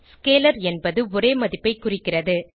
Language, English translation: Tamil, Scalar represents a single value and can store scalars only